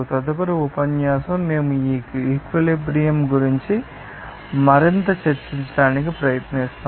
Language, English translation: Telugu, Next lecture, we will try to discuss more about that equilibrium